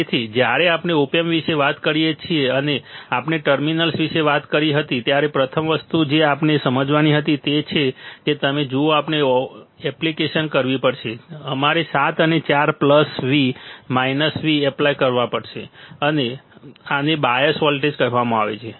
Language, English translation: Gujarati, So, when we talk about the op amp, and we talked about the terminals then first and first thing that we had to understand is you see we had to apply we have to apply 7 and 4 plus V, minus V this are called these are called bias voltages these are called bias voltages all right